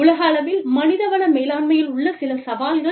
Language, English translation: Tamil, Some challenges for human resources, globally